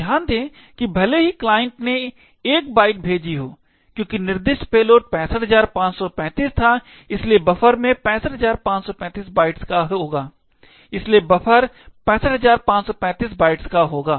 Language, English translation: Hindi, So, note that even though the client has sent 1 byte, since the payload specified was 65535 therefore the buffer would actually contain data of 65535 bytes